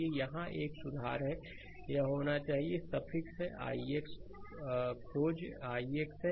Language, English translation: Hindi, So, here it is a correction, this is should be suffix is i x right find i x